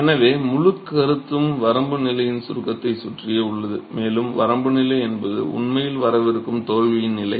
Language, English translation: Tamil, So, the whole concept revolves around the idea of a limit state and a limit state is really a state of impending failure